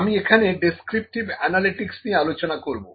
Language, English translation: Bengali, So, I will talk about descriptive analytics here